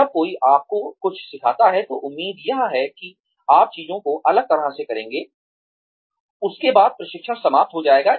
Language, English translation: Hindi, When, somebody teaches you something, the expectation is that, you will do things differently, after that training is over